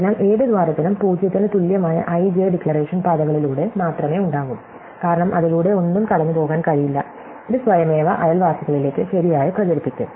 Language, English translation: Malayalam, So, any hole will just have by declaration, paths (i,j) equal to 0 because nothing can go through it and this will automatically propagate to its neighbors correctly